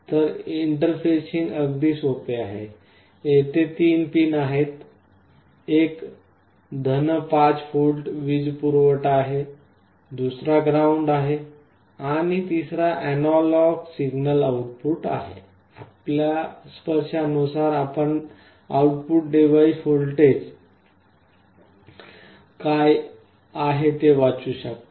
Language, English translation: Marathi, So the interfacing becomes very simple; there are three pins one is your + 5 volt power supply, other is ground and the third one is analog signal output; depending on your touch what is the output voltage that you can read